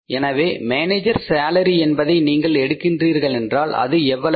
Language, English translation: Tamil, So, if you take the manager salary here, how much is the manager salary